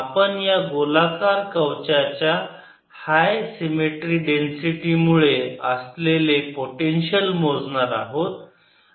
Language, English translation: Marathi, will calculate the potential due to a high symmetric density for spherical shell